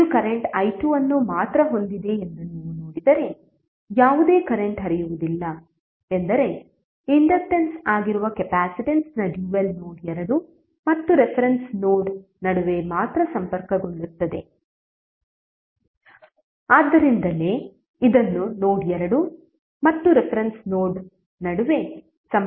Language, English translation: Kannada, If you see this is having only current i2, no any current is flowing it means that the dual of capacitance that is inductance would be connected between node 2 and reference node only, so that is why this is connected between node 2 and reference node